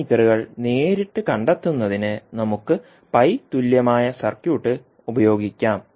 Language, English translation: Malayalam, We can use the pi equivalent circuit to find the parameters directly